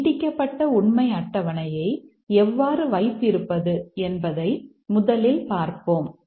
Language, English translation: Tamil, Let's first see how to have the extended truth table